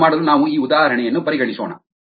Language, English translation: Kannada, to understand this, let us take an example